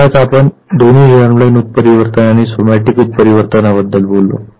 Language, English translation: Marathi, Mutations are of two types the germ line mutation and the somatic mutation